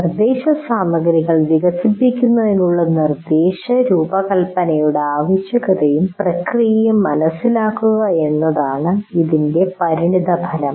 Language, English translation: Malayalam, The outcome is understand the need and the process of instruction design to develop instruction material